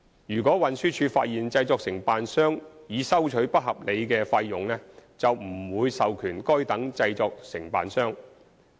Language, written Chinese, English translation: Cantonese, 如運輸署發現製作承辦商擬收取不合理的費用，便不會授權該等製作承辦商。, If TD finds that the fee to be charged by a production agent is unreasonable no authorization will be granted to the production agent